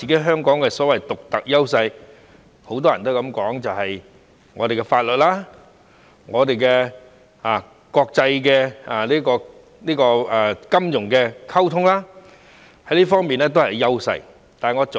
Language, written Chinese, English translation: Cantonese, 香港的所謂獨特優勢，很多人也說是我們的法律及國際金融方面的溝通。, When it comes to the so - called unique advantage of Hong Kong many people said that it has something to do with our communications in the legal field and international finance